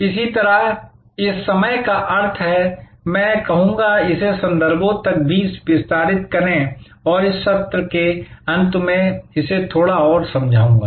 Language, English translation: Hindi, So, which means this time and I would say expand it also to the contexts and I will explain this a little bit more toward the end of this session